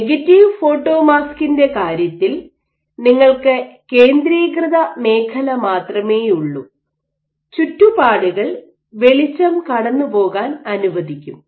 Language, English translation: Malayalam, So, this is your positive photomask and in case of your negative photomask you only have the centered zone and the surroundings will allow light to pass